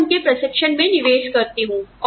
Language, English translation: Hindi, I invest in their training